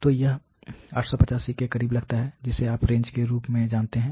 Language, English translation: Hindi, So, that brings about close to 85 you know as the range